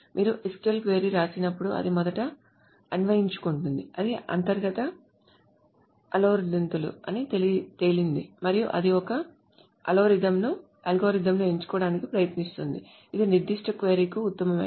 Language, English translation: Telugu, So when you write an SQL query, it first purses it, then it figures out it has got its internal algorithms and it tries to select an algorithm which will be the best for that particular query